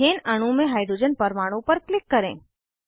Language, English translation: Hindi, Click on the hydrogen atom in the ethane molecule